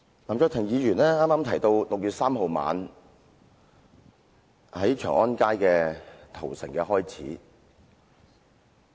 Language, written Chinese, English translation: Cantonese, 林卓廷議員剛才提到6月3日晚上，北京長安街的屠城開始了。, Mr LAM Cheuk - ting said just now the night of 3 June marked the beginning of the massacre on Chang An Avenue in Beijing